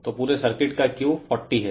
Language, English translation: Hindi, So, Q of the whole circuit is 40 right